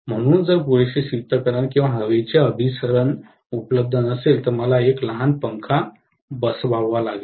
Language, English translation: Marathi, So, if adequate cooling or circulation of air is not available, I might have to fit a small fan, right